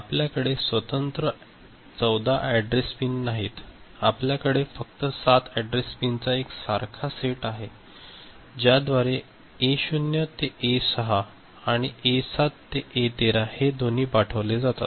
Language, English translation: Marathi, We do not have separate 14 address pins, we have only one common set of 7 address pins by which both A naught to A6 and A7 to A13 are sent